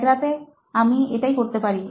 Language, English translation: Bengali, So in one night, we can, I can do that thing